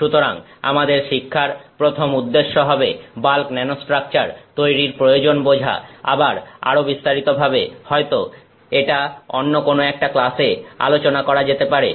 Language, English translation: Bengali, So, our learning objectives are first to understand the need to create bulk nanostructures, again this is something maybe touched upon briefly at a different in different classes